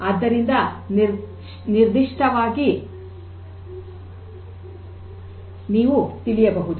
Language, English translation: Kannada, So, that you can know specifically